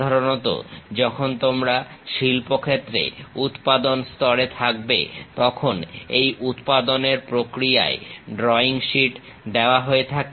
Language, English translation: Bengali, Typically, when you are in production lines in industries during this manufacturing process drawing sheets will be distributed